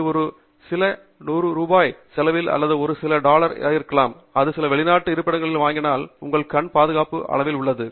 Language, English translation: Tamil, And this a simple device which just cost a few hundred rupees or may be just a few dollars, if you buy it in some foreign location, that provides your eye with great level of safety